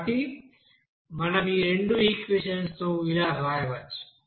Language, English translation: Telugu, So in this way you can have this equation